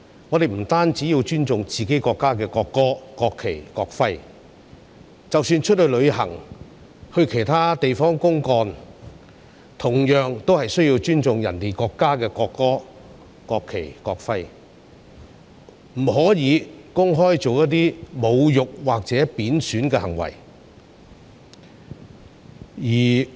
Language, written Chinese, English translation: Cantonese, 我們不單要尊重自己國家的國歌、國旗及國徽，即使出外旅行，或到其他地方公幹，同樣需要尊重其他國家的國歌、國旗及國徽，不可以公開作出侮辱或貶損的行為。, Not only should we respect the national anthem national flag and national emblem of our own country . When we travel abroad or go to other places on business we also need to respect the national anthems national flags and national emblems of other countries . We must not publicly commit any insulting or disrespectful act